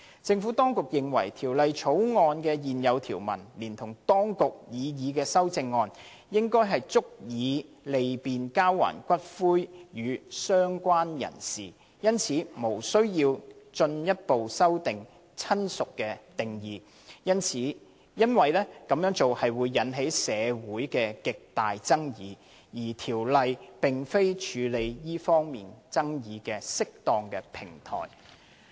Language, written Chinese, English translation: Cantonese, 政府當局認為，《條例草案》現有條文連同當局的擬議修正案，應足以利便交還骨灰予"相關人士"，因此無須進一步修訂"親屬"的定義，因為此舉會引起社會極大爭議，而《條例草案》並非處理這方面爭議的適當平台。, The Administration therefore considers that the current provisions in the Bill together with its proposed CSA are sufficient to facilitate the return of ashes to the relevant related persons . It would hence be unnecessary to further amend the definition of relative as it will arouse serious controversy in society and the Bill is not a suitable forum to tackle such controversy